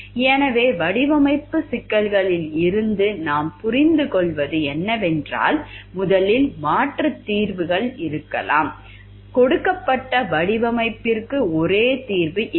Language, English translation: Tamil, So, what we understand from the design problems is, there are like first there could be alternative solutions, there is no one single solution to a design given